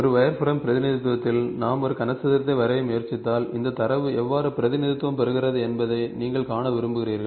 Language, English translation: Tamil, In a wireframe representation, if we try to draw a cube, you would like to see how does this data getting represented